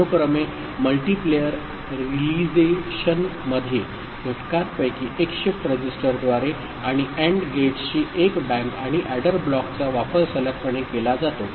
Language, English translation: Marathi, In serial multiplayer realization, one of the factors is shifted through a shift register and one bank of AND gates and the adder block is used successively